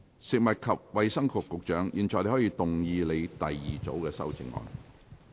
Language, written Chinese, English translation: Cantonese, 食物及衞生局局長，你現在可以動議你的第二組修正案。, Secretary for Food and Health you may now move your second group of amendments